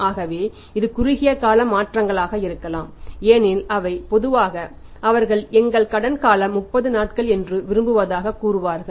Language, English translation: Tamil, So, that can be the short term changes as we have seen and analysed quantitatively that say they want to normally our credit period is 30 days